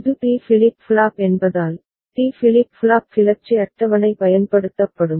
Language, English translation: Tamil, Since it is D flip flop so, D flip flop excitation table will be put to use